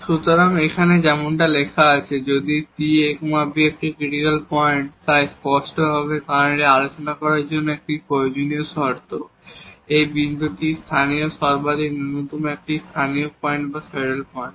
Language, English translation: Bengali, So, here as written there if ab is a critical point so definitely because this is a necessary condition to discuss that, this point is a local point of local maximum minimum or a saddle point